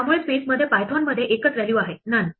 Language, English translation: Marathi, So there is exactly one value none in Python in the space